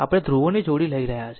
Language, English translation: Gujarati, We are taking pair of poles